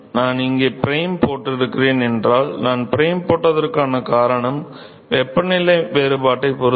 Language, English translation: Tamil, So, hf I have put up prime here, reason I have put a prime is depending upon the temperature difference